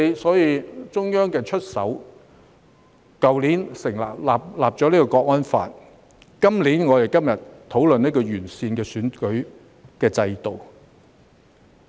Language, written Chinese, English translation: Cantonese, 所以，中央便出手，在去年制定《香港國安法》，今年再提出我們今天討論的完善選舉制度。, Therefore the Central Authorities stepped in and enacted the Hong Kong National Security Law last year . Improving the electoral system that we are discussing today is further proposed this year